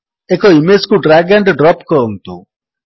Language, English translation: Odia, Let us drag and drop an image